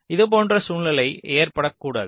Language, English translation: Tamil, ok, so such scenario should not occur